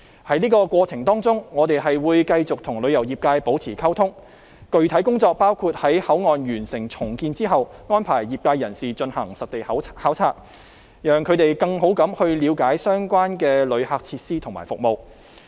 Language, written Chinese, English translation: Cantonese, 在這個過程當中，我們會繼續跟旅遊業界保持溝通，具體工作包括在口岸完成重建後，安排業界人士進行實地考察，讓他們更好地了解相關旅客設施和服務。, We will maintain communication with the tourism industry in the process . The specific work includes arranging field trips for people from the industry upon the completion of the works at the Port with a view to allowing them to have a better understanding about the relevant visitors facilities and services